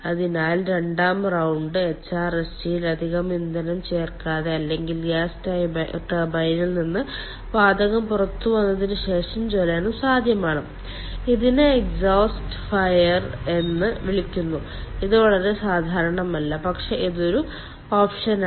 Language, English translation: Malayalam, so a second round of combustion without adding any additional fuel in the hrsg or after the gas has come out of gas turbine, is possible, and this is called exhaust fired